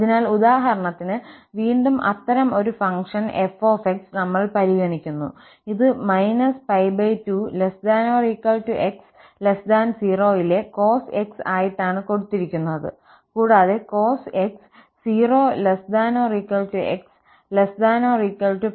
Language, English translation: Malayalam, So, again if for instance, we consider such a function f, which is given as minus cos x in the region minus pi by 2 to 0, and then cos x in the region 0 to pi by 2